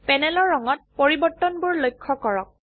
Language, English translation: Assamese, Observe the change in color on the panel